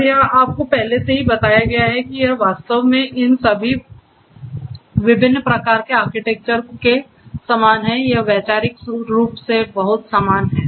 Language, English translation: Hindi, And it is already given to you and it is very similar actually all these different types of architectures they are conceptually they are very similar